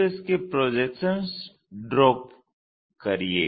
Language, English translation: Hindi, Draw it's projections